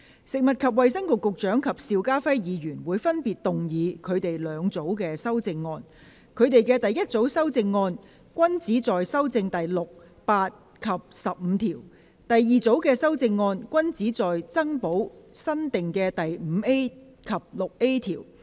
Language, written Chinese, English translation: Cantonese, 食物及衞生局局長及邵家輝議員會分別動議他們的兩組修正案：他們的第一組修正案均旨在修正第6、8及15條；而第二組修正案均旨在增補新訂的第 5A 及 6A 條。, The Secretary for Food and Health and Mr SHIU Ka - fai will move their two groups of amendments respectively Their first groups of amendments both seek to amend clauses 6 8 and 15; and the second groups of amendments both seek to add new clauses 5A and 6A